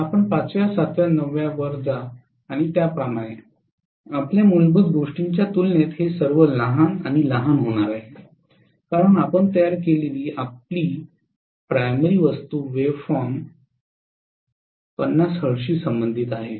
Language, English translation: Marathi, That is if you to go to 5th, 7th, 9th and so on all of them are going to be smaller and smaller as compared to whatever was your fundamental because your primary thing the wave form that you have generated itself is corresponding to 50 hertz